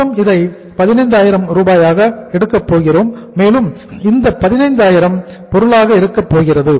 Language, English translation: Tamil, So we are going to take it as 15,000